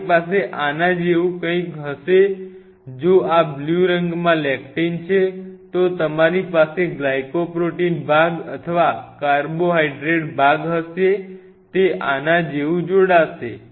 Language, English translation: Gujarati, What you essentially will have something like this if this is the lectin in a blue color, you will have a glycoprotein part or the carbohydrate part will bind to it something like this